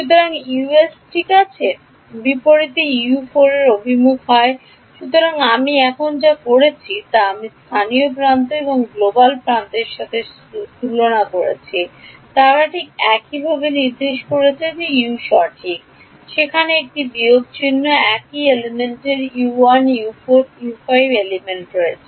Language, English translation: Bengali, So, what I am doing now is I am comparing local edge and global edge are they pointing in the same way U 1 is correct U 4 there is a minus sign U 5 is in the same direction in element a